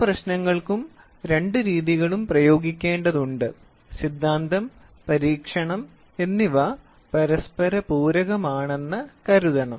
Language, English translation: Malayalam, Many problems require the application of both methods and theory and experiment should be thought of as a complimentary to each other